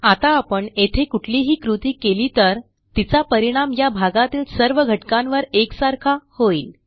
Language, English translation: Marathi, Now whatever action we do here, will affect all the elements inside this area, uniformly